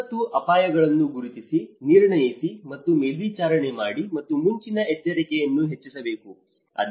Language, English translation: Kannada, Identify, assess, and monitor disaster risks and enhance early warning